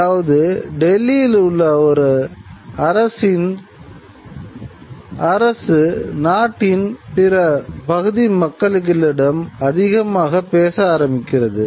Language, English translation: Tamil, That means the government and Delhi starts having a greater say over the rest of the country